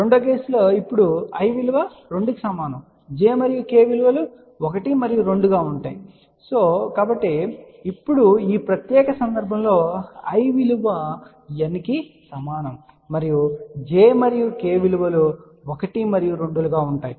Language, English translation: Telugu, In the second case now, i is equal to 2, j and k remain 1 and 2 and in this particular case now, i is equal to N and j and k will be 1 and 2